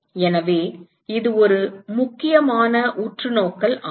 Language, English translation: Tamil, So that is an important observation